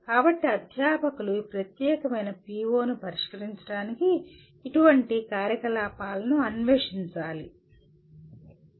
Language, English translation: Telugu, So the faculty should explore such activities to address this particular PO